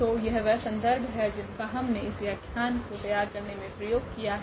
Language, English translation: Hindi, So, these are the references we have used to prepare these lectures